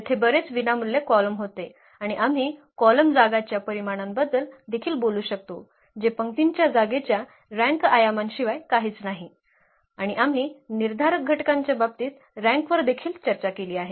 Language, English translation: Marathi, There was a number of linearly independent columns, and we can also talk about the dimension of the column space that is nothing but the rank dimension of the row space that also is the rank and we have also discussed the rank in terms of the determinants